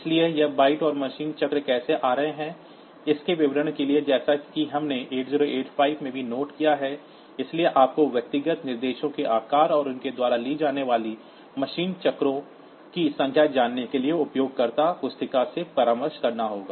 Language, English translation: Hindi, So, for the details of how this bytes and machine cycles are coming as we have noted in 8085 also, so you have to consult the user manual to know the sizes of individual instructions and the number of machine cycles they take